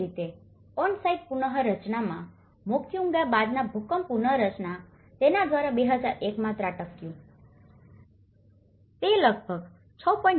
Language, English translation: Gujarati, Similarly, in on site reconstruction, post earthquake reconstruction in Moquegua, here, it is also struck by in 2001, it is about 6